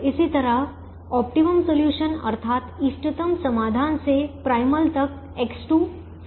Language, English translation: Hindi, similarly, from the optimum solution to the primal, x two is four